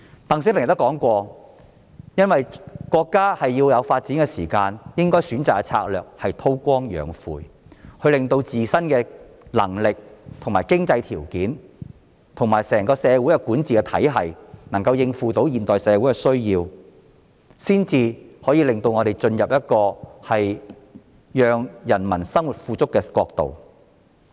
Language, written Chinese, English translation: Cantonese, "鄧小平也說過，由於國家需要時間進行發展，所以應該選擇的策略是韜光養晦，令自身的能力、經濟條件及整個社會的管治體系能夠應付現代社會的需要，這樣才能令中國進入讓人民生活富足的國度。, DENG Xiaoping also said that since the country needed time for development the strategy to be adopted was to hide its capabilities and bide its time and when the capabilities economic conditions and the governance system of the entire society could meet the needs of modern society China would then become a country where people led a prosperous life